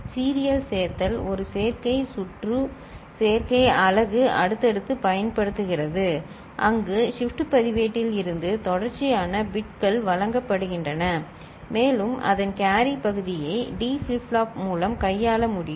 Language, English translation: Tamil, Serial addition uses an adder circuit adder unit successively where consecutive bits are presented from shift register and the carry part of it can be handled by a D flip flop